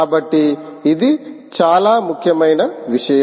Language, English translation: Telugu, so it's nothing but a very important thing